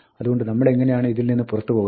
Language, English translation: Malayalam, So, how do we get out of this